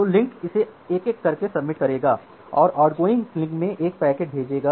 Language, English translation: Hindi, So, the link will sub it one by one and send a packet in the outgoing link